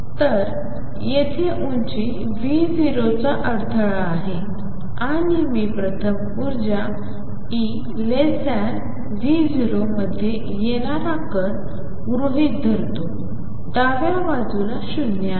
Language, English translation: Marathi, So, here is the barrier of height V 0 and first case I consider is a part of the coming in at energy e less than V 0 the left hand side is V equal 0